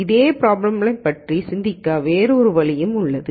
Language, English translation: Tamil, So that is one other way of thinking about the same problem